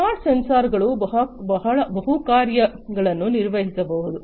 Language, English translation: Kannada, Smart sensors can perform multiple functions